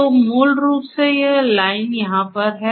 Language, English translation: Hindi, So, basically you know this line over here